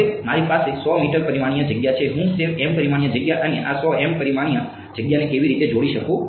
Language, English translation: Gujarati, Now I have 100 m dimensional space how do I relate that m dimensional space and this 100 m dimensional space